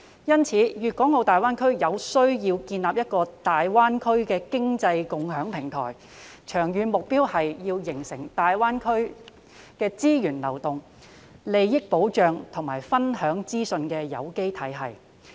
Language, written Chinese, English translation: Cantonese, 因此，大灣區有需要建立一個經濟共享平台，長遠目標是要形成大灣區資源流動、利益保障及資訊分享的有機體系。, Therefore it is necessary for GBA to establish an economic sharing platform with the long - term target being the formation of an organic regime for the flow of resources protection of interests and sharing of information in GBA